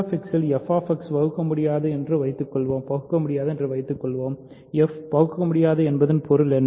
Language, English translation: Tamil, Suppose f X is not irreducible in Q X, what is the meaning of f not being irreducible